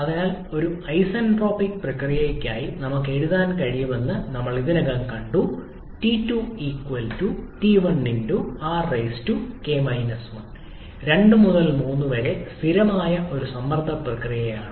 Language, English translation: Malayalam, So, for an isentropic process, we have already seen that we can write T2=T1*R to the power k 1, 2 to 3 is a constant pressure process